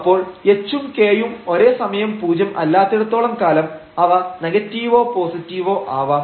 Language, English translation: Malayalam, So, whatever h is h may be 0 or h may be non zero, but when k is negative this product is going to be positive